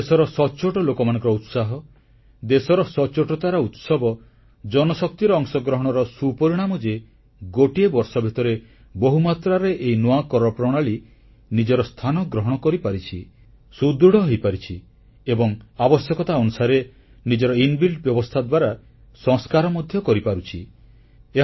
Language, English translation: Odia, However within a year, the enthusiasm of the honest people of this nation, the celebration of integrity in the country and the participation of people resulted in this new tax system managing to create a space for itself, has achieved stability and according to the need, it will bring reform through its inbuilt arrangement